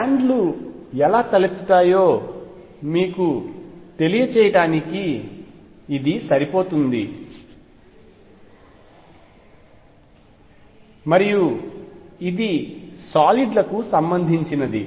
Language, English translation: Telugu, And that is sufficient to give you an idea how bands arise and this would be related to solids